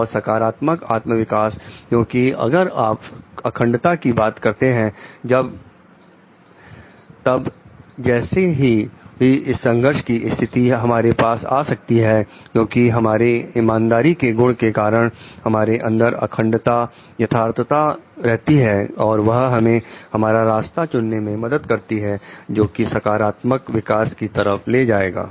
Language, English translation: Hindi, And positive flower self development because, if you are talking of integrity then whatever may be conflicting situations may come to us because, the we like by the virtue of honesty and integrity remaining true to oneself will help us to choose our path which will lead to a positive self development